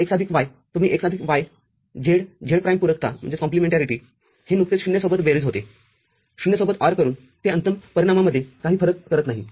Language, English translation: Marathi, So, x plus y, you can write as x plus y, z z prime – complementarity, it is just summing up with 0, ORing with 0, it does not make any difference in the final outcome